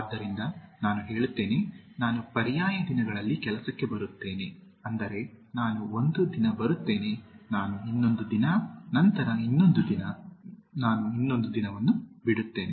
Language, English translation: Kannada, So, suppose I say, I will come for the job on alternate days, that means I will come one day, I leave the other day, then another day, I leave one other day